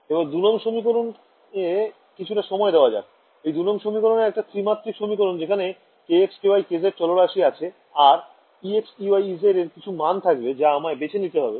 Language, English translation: Bengali, So, let us spend some time interpreting equation 2 so, equation 2 it is a three dimensional equation in the variables k x, k y, k z right and this e x, e y, e z all of these are numbers some numbers that I choose